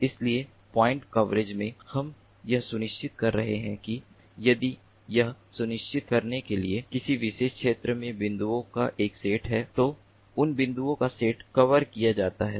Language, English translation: Hindi, so in point coverage, what we are doing is we are ensuring that if there is a set of points in a particular area, to ensure that those set of points are covered, those set of points are covered in that particular area with minimal number of sensor nodes